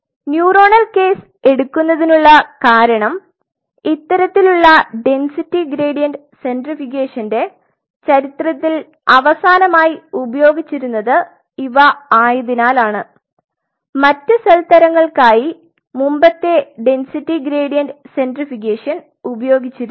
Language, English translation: Malayalam, And the reason for me to pick up the neuronal case because those are the last one in the history of this kind of density gradient centrifugation where they are being used the earlier density gradient centrifugation has been used for other cell types